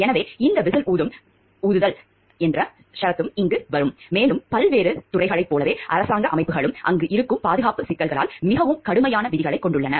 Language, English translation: Tamil, So, these the clause of whistle blowing will also come over here, and government organizations like in defence sector, they have much more stringent rules because of the security issues which are them